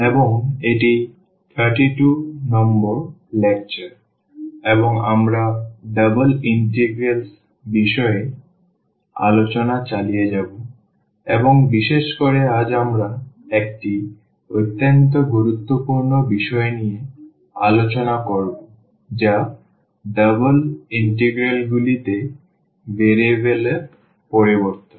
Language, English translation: Bengali, And this is lecture number 32 and we will continue discussion on the double integrals and in particular today we will discuss an very very important topic that is Change of Variables in Double Integrals